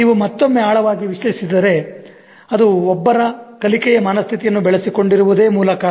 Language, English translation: Kannada, If we deeply analyze again the root cause is in the way one has developed a learning mindset